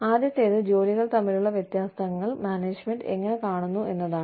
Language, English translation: Malayalam, The first one is, how does the management perceive, differences in between jobs